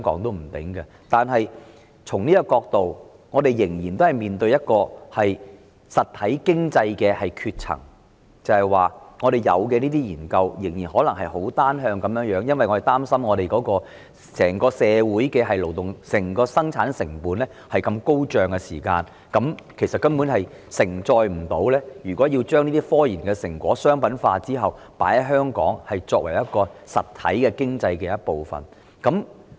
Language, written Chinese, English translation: Cantonese, 然而，從這個角度看，我們仍然面對實體經濟的斷層，便是香港進行的研究仍然很單向，因為我們擔心本地的整體生產成本如此高昂時，其實根本不能承載科研成果商品化後被納入為香港實體經濟的一部分。, Nevertheless from such a perspective we still face a gap in the real economy that is the unidirectional nature of researches conducted in Hong Kong because we fear that when the overall local production cost is so high the commercialization of research achievements cannot be sustained and incorporated into the real economy of Hong Kong